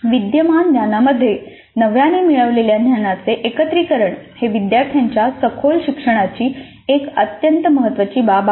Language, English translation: Marathi, So the integration of the newly acquired knowledge into the existing knowledge is an extremely important aspect of deep learning by the students